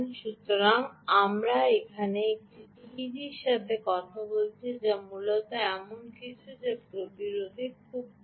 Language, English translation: Bengali, ah, so the teg that we are talking here is, which is essentially something that has very low resistance